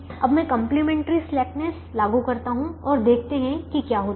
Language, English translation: Hindi, now let me apply complimentary slackness and see what happens now when i apply complimentary slackness